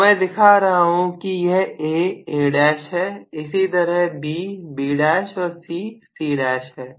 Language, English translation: Hindi, So I am showing that this is A, A dash similarly B, B dash and C, C dash